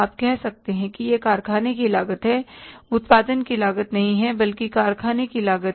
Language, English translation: Hindi, You can say it is the factory cost, not the cost of production, but the factory cost